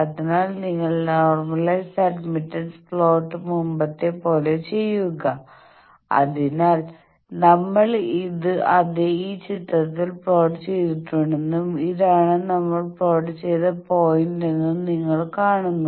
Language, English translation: Malayalam, So, you do as before plot the normalized admittance, so you see that we have plotted it in this figure and this is the point where we have plotted it